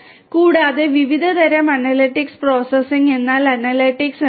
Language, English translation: Malayalam, And the different types of analytics processing means analytics right